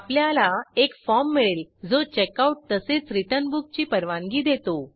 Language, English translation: Marathi, We get a form which allows you to checkout as well as return book